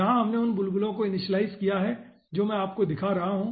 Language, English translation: Hindi, initialize the bubbles i will be showing you